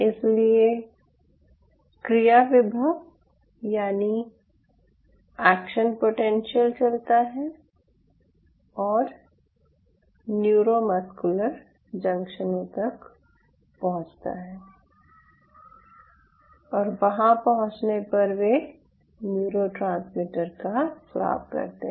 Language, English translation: Hindi, so the idea is you stimulate the neurons, so neuron, the action potentials, will travel and will reach the neuromuscular junctions and upon reaching there, they will secrete neurotransmitters